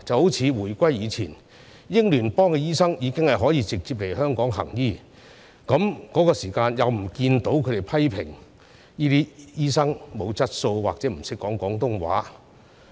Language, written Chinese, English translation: Cantonese, 一如回歸之前，英聯邦醫生已經可以直接來香港行醫，當時又不見有人批評這些醫生欠缺質素或者不懂廣東話。, Just as before the reunification doctors from Commonwealth countries could come to practise in Hong Kong directly . Back then no one criticized those doctors for lacking quality or not knowing Cantonese